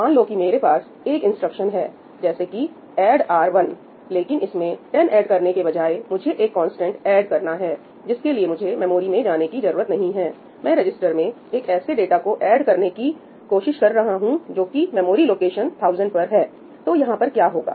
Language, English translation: Hindi, Let us say that I have an instruction, say, ‘add R1’, but instead of adding a value like 10 to it a constant which I do not need to go to the memory for suppose I am trying to add to register R1, data that resides in memory location 1000